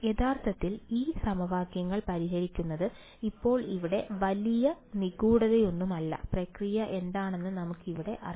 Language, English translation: Malayalam, Actually solving this these equation is now there is no great mystery over here, we have already know it what is the process